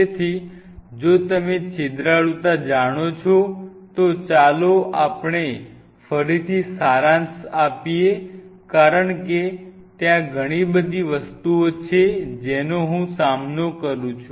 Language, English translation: Gujarati, So, if you know the porosity so let us summarize again because there are too many things I am dealing